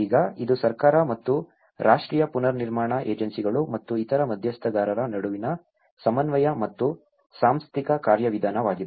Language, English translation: Kannada, Now, this is coordination and the institutional mechanism between the government and the national reconstruction agencies and other stakeholders